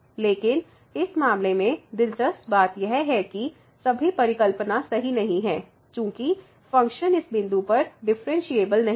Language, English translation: Hindi, But, what is interesting in this case the all the hypothesis are not made because the function is not differentiable at this point